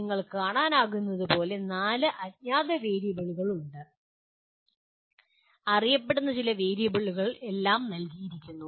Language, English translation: Malayalam, As you can see there are four unknown variables and some known variables are all given